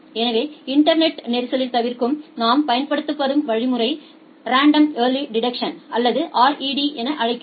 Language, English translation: Tamil, So, the algorithm that we applied for congestion avoidance in the internet we call it as random early detection or RED